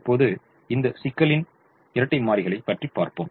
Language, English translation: Tamil, now we now write the dual of this problem